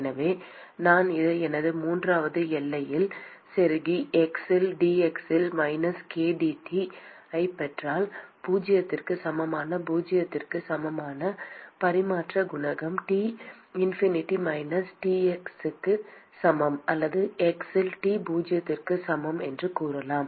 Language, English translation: Tamil, And so, if I plug this into my third boundary condition and get minus k dT by dx at x equal to zero equal to heat transfer coefficient into T infinity minus Ts ,or you can say T at x is equal to zero